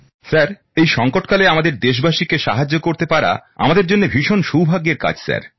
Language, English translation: Bengali, Sir we are fortunate to be able to help our countrymen at this moment of crisis